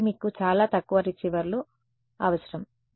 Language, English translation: Telugu, So, you need very few receivers